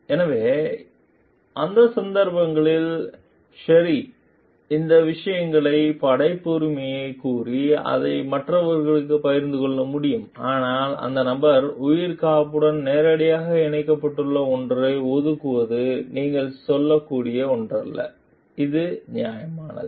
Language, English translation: Tamil, So, in those cases sherry as she could claim the authorship of these things and share it with others, but reserving something which is directly connected to the life saving of the person is not something which you can tell like, this is justified